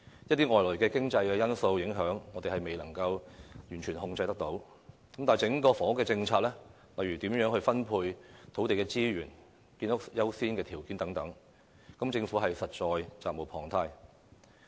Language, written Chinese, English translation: Cantonese, 一些外來經濟因素的影響，我們固然未能完全控制，但整體房屋政策，例如土地資源如何分配和建屋優次等問題，政府實在責無旁貸。, While the impact of certain external economic factors is out of our control the Government is duty - bound to put in place a sound and comprehensive housing policy regarding the distribution of land resources and the priority of housing construction